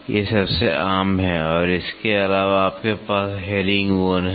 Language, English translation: Hindi, These are the most common one and apart from that you have herringbone